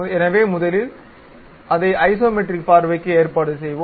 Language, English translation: Tamil, So, let us first arrange it to Isometric view